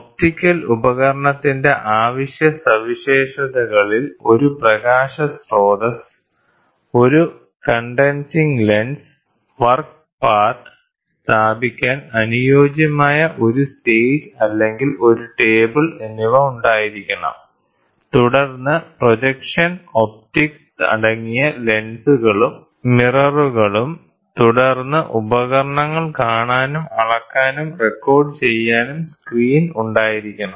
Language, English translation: Malayalam, Essential features of an optical instrument should have a light source, a condensing lens, a suitable stage or a table to position the work; work part then projection optics comprising lenses and mirrors then screen for viewing and then measuring and recording devices